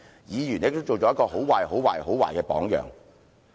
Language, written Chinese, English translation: Cantonese, 議員亦都做了一個很壞、很壞、很壞的榜樣。, Those Members have likewise set a deplorable deplorable deplorable example